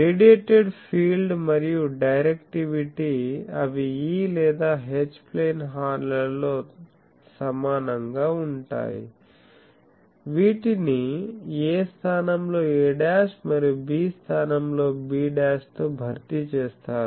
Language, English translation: Telugu, So, the radiated field and directivity, they are also same as E or H plane horns with a replaced by a dash and b replaced by b dash